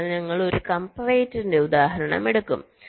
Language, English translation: Malayalam, we shall be taking a example of a comparator